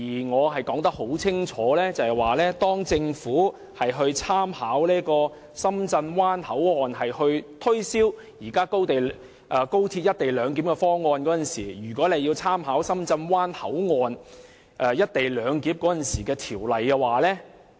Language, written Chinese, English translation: Cantonese, 我很清楚指出，當政府以深圳灣口岸推銷現行高鐵"一地兩檢"方案時，便應參考深圳灣口岸"一地兩檢"的條例。, I have made it very clear that if the Government uses the Shenzhen Bay Port SBP as an example to promote the current co - location arrangement at WKS it should also make reference to the co - location legislation for SBP